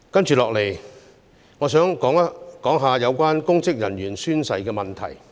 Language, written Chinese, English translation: Cantonese, 接下來，我想談談有關公職人員宣誓的問題。, Next I would like to talk about the issue of oath - taking by public officers